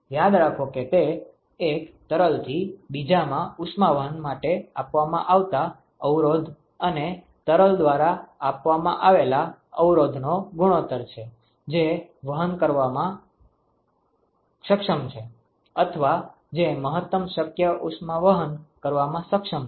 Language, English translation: Gujarati, Remember that it is the ratio of the resistance offered for transport of heat from one fluid to other divided by the resistance offered by the fluid which is capable of transporting or which the capable of taking up maximum possible heat transfer, ok